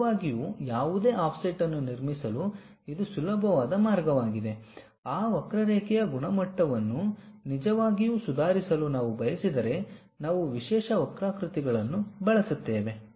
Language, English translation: Kannada, This is the easiest way one can really construct any offset, if we want to really improve the quality quality of that curve, we use specialized curves